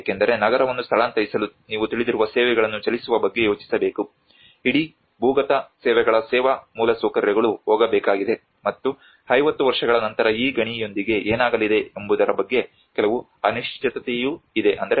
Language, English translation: Kannada, Because in order to move a city you need to think of moving the services you know the whole underground services service infrastructure has to go and also there is also some uncertainty how after 50 years what is going to happen with this mine